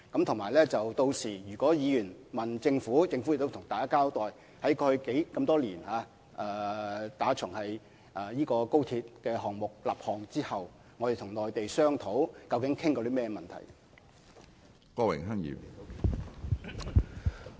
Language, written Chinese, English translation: Cantonese, 此外，屆時如果議員詢問政府相關詳情，政府會向大家交代過去多年來，自從高鐵項目立項後，我們與內地商討時究竟談過甚麼問題。, Besides if Members have questions about the relevant details then the Government will give an account to Members of the issues covered in our discussions with the Mainland over the years since the establishment of the XRL project